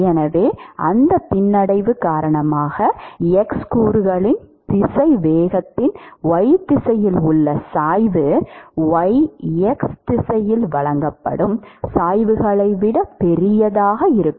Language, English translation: Tamil, Therefore, because of that retardation the gradients in the y direction of the x component velocity is going to be much larger than the gradients that is offered in the y x direction it itself